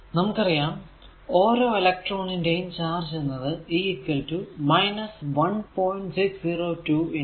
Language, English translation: Malayalam, So, each electron has e is equal to minus 1